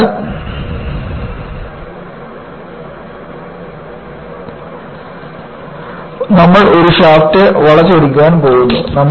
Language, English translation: Malayalam, So, you go for twisting of a shaft under torsion